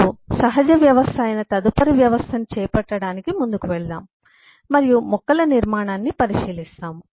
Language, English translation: Telugu, let’s uh move on to take up eh the next system, which is the natural system, and we look at the structure of plants